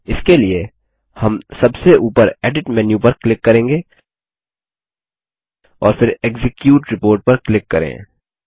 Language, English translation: Hindi, For this, we will click on the Edit menu at the top and then click on the Execute Report